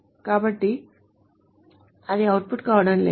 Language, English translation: Telugu, So that is not going to be output